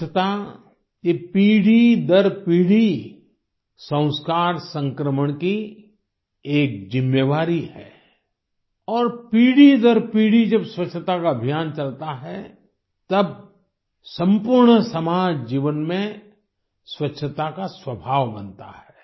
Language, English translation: Hindi, This cleanliness is a responsibility of the transition of sanskar from generation to generation and when the campaign for cleanliness continues generation after generation in the entire society cleanliness as a trait gets imbibed